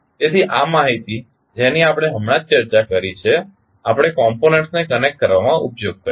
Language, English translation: Gujarati, So, this knowledge we just discussed, we will utilized in connecting the components